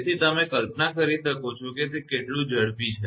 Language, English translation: Gujarati, So, you can imagine how fast it is right